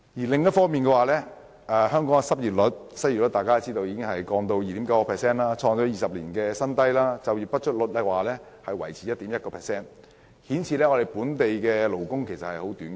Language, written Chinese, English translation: Cantonese, 同時，香港的失業率降至 2.9%， 創20年來新低；就業不足率也維持在 1.1% 水平，顯示本地勞工嚴重短缺。, Meanwhile the unemployment rate of Hong Kong has dropped to 2.9 % the lowest in 20 years while the rate of underemployment hovers at 1.1 % which points to the extreme tightness of the local labour market